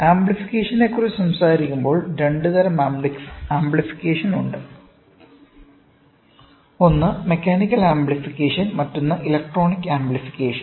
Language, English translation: Malayalam, When we talk about amplification, there are two types of amplification, one is mechanical amplification and the other one is electronic amplification